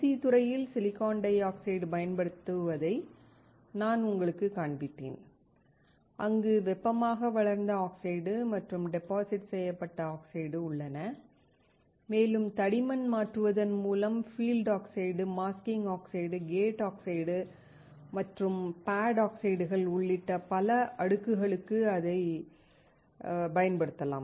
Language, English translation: Tamil, Next, I showed you the application of silicon dioxide in IC industry, where there are thermally grown oxide and deposited oxide, and by changing the thickness, we can apply it for several layers including field oxide, masking oxide, gate oxide, and pad oxides